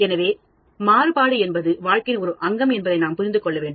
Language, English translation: Tamil, So, we need to understand that variation is fact of life